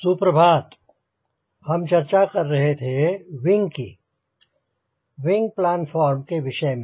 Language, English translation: Hindi, we have been discussing about wing, wing plan form